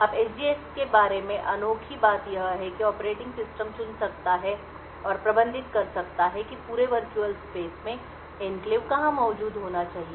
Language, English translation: Hindi, Now the unique thing about the SGX is that the operating system can choose and manage where in the entire virtual space the enclave should be present